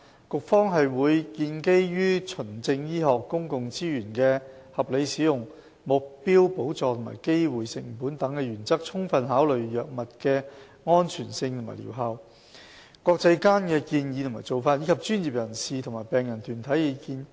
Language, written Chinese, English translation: Cantonese, 局方會建基於循證醫學、公共資源的合理使用、目標補助和機會成本等原則，充分考慮藥物的安全性和療效、國際間的建議和做法，以及專業人士和病人團體的意見。, During the process it will base on principles such as evidence - based medical practice rational use of public resources targeted subsidy and opportunity cost . Due consideration will also be given to the safety and efficacy of drugs international recommendations and practices as well as the views of professionals and patient groups